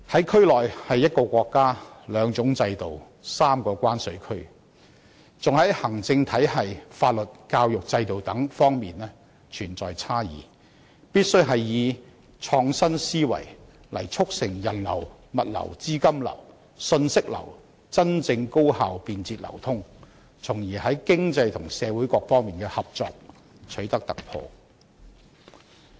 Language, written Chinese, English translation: Cantonese, 區內可說是一個國家、兩種制度、三個關稅區，而且在行政體系、法律、教育制度等方面存在差異，必須以創新思維促成人流、物流、資金流、信息流真正高效便捷流通，從而在經濟和社會各方面的合作取得突破。, The Bay Area is a region with two systems and three customs territories in one country and there are differences in such aspects as the administrative legal and education systems . It will be necessary to adopt innovative thinking to foster the genuinely effective efficient and convenient flows of personnel goods capital and information thereby achieving breakthroughs in economic and social cooperation